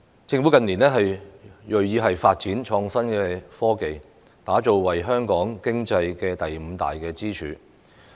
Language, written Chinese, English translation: Cantonese, 政府近年銳意發展創新科技，將其打造為香港經濟第五大支柱。, In recent years the Government has shown determination to develop innovation and technology IT as the fifth pillar of Hong Kongs economy